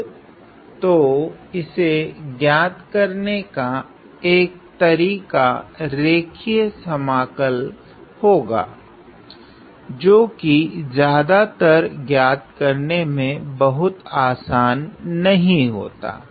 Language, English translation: Hindi, Now, so one way is to evaluate this line integral which is most of the time not very simple to evaluate